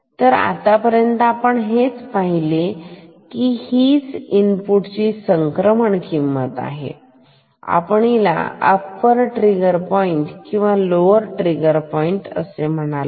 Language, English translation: Marathi, So, this is what we have seen and this transition values of input, we have called their upper trigger point or lower trigger point